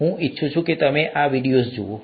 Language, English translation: Gujarati, I would like you to look through these videos